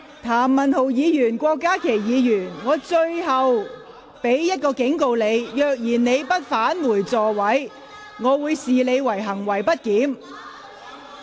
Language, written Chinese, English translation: Cantonese, 譚文豪議員、郭家麒議員，我最後一次警告，如果你們不返回座位，我會視你們為行為極不檢點。, Mr Jeremy TAM Dr KWOK Ka - ki this is my last warning to you . If you do not return to your seats I would consider your conduct grossly disorderly